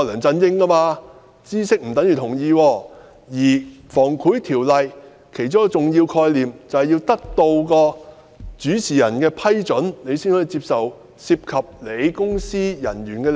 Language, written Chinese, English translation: Cantonese, 《防止賄賂條例》其中一個重要概念，就是要得到主事人的批准，才可以接受涉及其公司業務的利益。, One important concept enshrined in the Prevention of Bribery Ordinance is that permission from ones principal is the necessary prerequisite for accepting any advantage relating to the business of the company